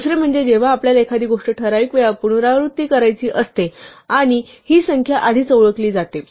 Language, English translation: Marathi, The other is when we want to repeat something a fixed number of times and this number of times is known in advance